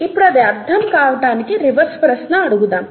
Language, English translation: Telugu, To understand that let us ask the reverse question